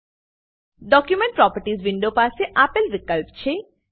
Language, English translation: Gujarati, Document properties window has the following fields